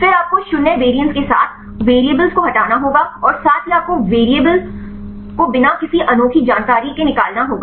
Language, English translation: Hindi, Then you have to remove the variables with the 0 variance and also you have to remove the variables with no unique information